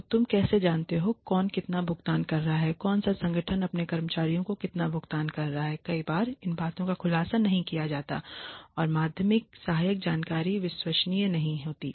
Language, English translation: Hindi, So, how do you know; who is paying how much to its, which organization is paying how much to its employees many times these things are not disclosed and the secondary information is not reliable